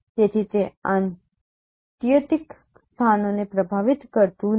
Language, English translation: Gujarati, So, it does not influence extremer locations